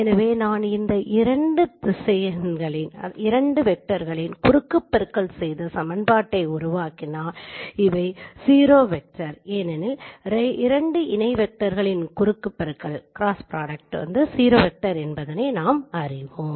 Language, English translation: Tamil, So if I take the cross product of these two vectors and then form the equation because we know the cross product of two parallel vector is a zero vector